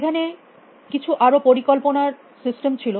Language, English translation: Bengali, There were some more planning systems